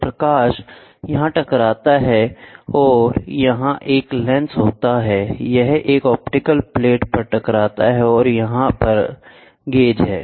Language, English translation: Hindi, So, the light hits here then you have a collimated lens, this hits at an optical flat and here is the gauge, right